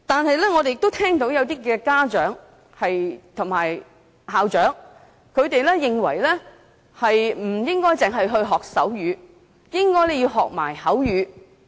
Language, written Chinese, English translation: Cantonese, 然而，我們亦聽到一些家長及校長認為不應該只學習手語，亦應該學習口語。, However we have also heard some parents and headmasters say that rather than learning sign language only such students should also learn spoken language